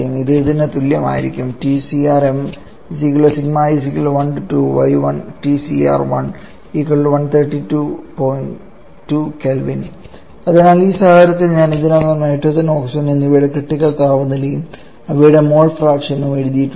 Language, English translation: Malayalam, So, in this case here I have already written the critical temperature for nitrogen and oxygen also in their mass fraction